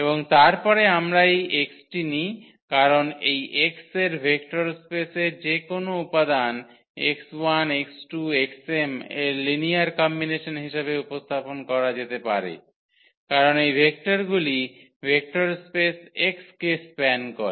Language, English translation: Bengali, And then we take this x because any element of this vector space x can be represented as a linear combinations of x 1 x 2 x 3 x m because these vectors span the vector space X